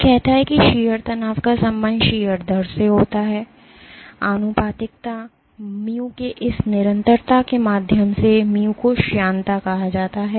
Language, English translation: Hindi, It says that shear stress is related to shear rate, via this constant of proportionality mu, mu is called the viscosity